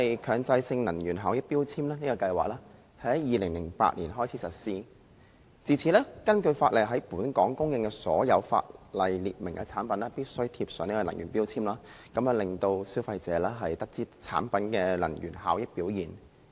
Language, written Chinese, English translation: Cantonese, 強制性能源效益標籤計劃在2008年開始實施，自此，根據法例，在本港出售的所有法例列明的產品必須貼上能源標籤，讓消費者知悉其能源效益表現。, The Mandatory Energy Efficiency Labelling Scheme MEELS was introduced in 2008 . Since then the Ordinance requires that energy labels should be shown on all prescribed products offered for sale in Hong Kong to inform consumers of the products energy efficiency performance